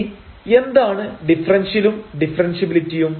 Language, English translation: Malayalam, Now, what is differentiability and differential usually